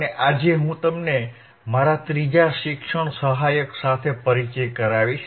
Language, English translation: Gujarati, And today I will introduce you to my third teaching assistant